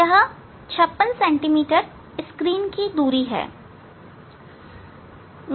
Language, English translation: Hindi, it is screen distance is 56 hm